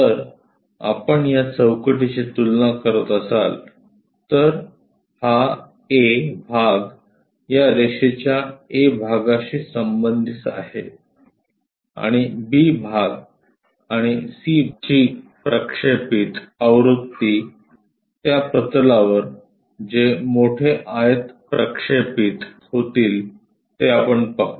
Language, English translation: Marathi, So, if we are comparing these boxes, this A part corresponds to A part of this line; and B part is B part of this part; and C projected version so we will see as C prime whatever that big rectangle projected onto that plane